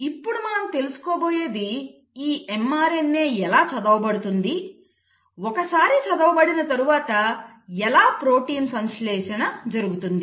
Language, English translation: Telugu, Now how is it that this mRNA is read, And having read how is it that the protein is synthesised